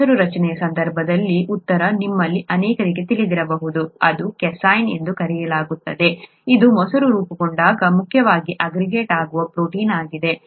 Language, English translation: Kannada, Which protein aggregates, okay, in the case of curd formation, the answer, many of you may know it, it’s called casein, this is the protein that mainly aggregates when curd gets formed